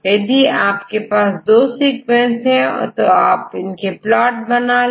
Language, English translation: Hindi, So, if you have two sequences I will write it clear